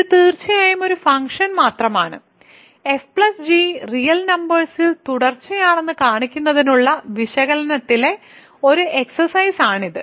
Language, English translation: Malayalam, So, this is just definitely a function and it is an exercise in analysis to show that f plus g is actually continuous